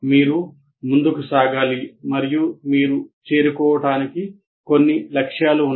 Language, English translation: Telugu, So you have to move on and you have some goals to reach